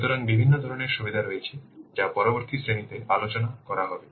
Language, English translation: Bengali, So, there are the different types of benefits are there which we will discuss in the next class